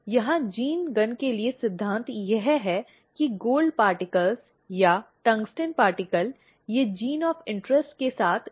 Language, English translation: Hindi, Here the principle for gene gun is that, the gold particles or the tungsten particle they are coated with the gene of interest